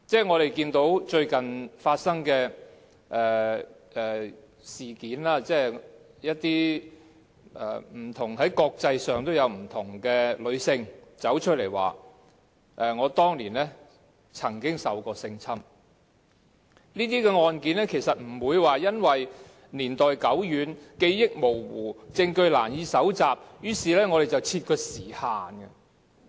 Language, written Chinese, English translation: Cantonese, 我們看到最近發生的事件，在國際上有不同的女性走出來說當年曾受性侵，這些案件不會因為年代久遠、記憶模糊、證據難以搜集便設有時限。, We can see in some recent incidents that women from different parts of the world have come forward and told of their experiences of being sexually assaulted . These cases will not be subject to be any time limit due to a long lapse of time vague memory and difficulty in collecting evidence